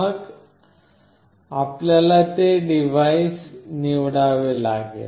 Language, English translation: Marathi, Then you have to select that device